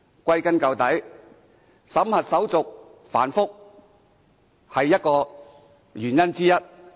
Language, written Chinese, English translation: Cantonese, 歸根究底，審核手續繁複是原因之一。, After all one of the reasons for the above is the complicated screening procedures